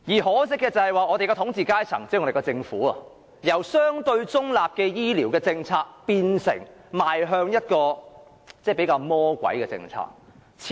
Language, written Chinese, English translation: Cantonese, 可惜的是，我們的統治階層即政府，已由相對中立的醫療政策，變成採取一種比較"魔鬼"的做法。, Regrettably the ruling class has already switched from adopting a relatively neutral health care policy to resorting to a more evil practice